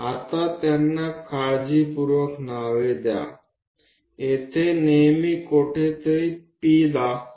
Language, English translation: Gujarati, Now name them carefully, always point P somewhere here